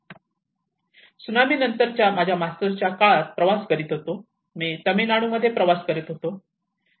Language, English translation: Marathi, When I was traveling during my masters time immediately after the tsunami, I was travelling in Tamil Nadu